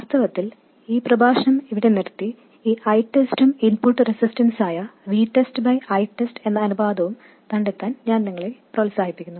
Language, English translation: Malayalam, In fact, I would encourage you to stop the lecture right here and find this I test and the ratio v test by I test which will be the input resistance